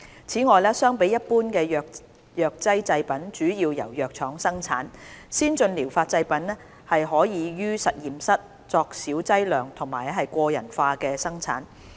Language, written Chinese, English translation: Cantonese, 此外，相比一般的藥劑製品主要由藥廠生產，先進療法製品可以於實驗室作小劑量及個人化的生產。, In addition while other pharmaceutical products are mainly manufactured by pharmaceutical factories the manufacture of ATPs can be in small batch and personalized